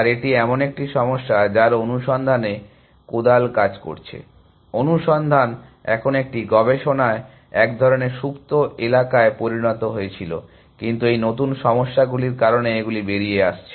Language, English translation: Bengali, And it is a problem, which has spade work in search, search had become a kind of dormant area in a research, but because of this new problems, which are coming out